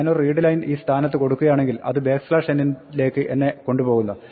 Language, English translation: Malayalam, If I do a readline at this point it will take me up to the next backslash n